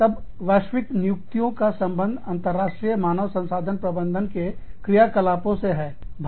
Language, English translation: Hindi, Then, global staffing is a concern, in the development of, International Human Resource Management functions